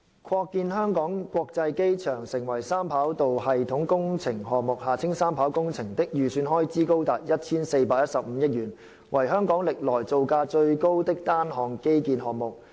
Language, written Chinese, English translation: Cantonese, 擴建香港國際機場成為三跑道系統工程項目的預算開支高達 1,415 億元，為香港歷來造價最高的單項基建項目。, With an estimated cost as high as 141.5 billion the project to expand the Hong Kong International Airport into a three - runway system is the ever most expensive single infrastructural project of Hong Kong